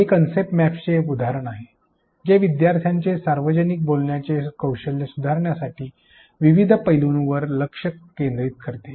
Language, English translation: Marathi, Here is an example of a concept map which describes the different aspects to be focused on in order to improve public speaking skills and students